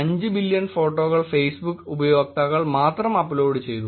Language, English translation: Malayalam, 5 billion photos per month were uploaded by Facebook users only